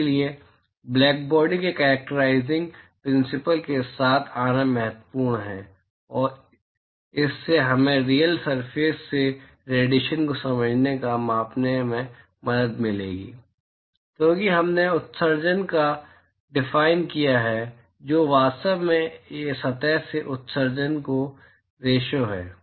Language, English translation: Hindi, So, it is important to come up with characterizing principles of blackbody and that will help us to understand or quantify the radiation from a real surface, simply because we have defined emissivity which is actually ratio of the emission from a surface with with respect to the black body